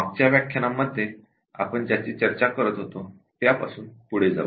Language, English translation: Marathi, We will continue from what we were discussing last time